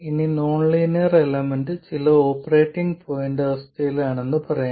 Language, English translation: Malayalam, Now let's say the nonlinear element is in some operating point condition